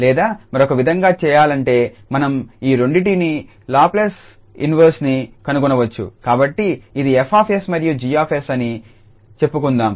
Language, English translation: Telugu, Or in other way round we can read this that the Laplace inverse of these two, so let us say this is F s and G s